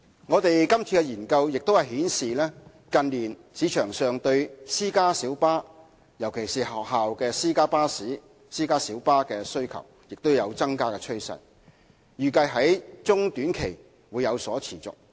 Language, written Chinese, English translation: Cantonese, 我們今次的研究亦顯示，近年市場對私家小巴，尤其是學校私家小巴的需求亦有增加趨勢，預計在中、短期會有所持續。, Findings of our study also show an increasing market demand for private light buses in recent years particularly school private light buses . This trend is expected to continue in the medium and short term